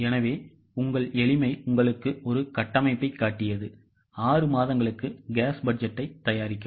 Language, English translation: Tamil, So, for your ease I have just shown you a structure, prepare a cash budget for six months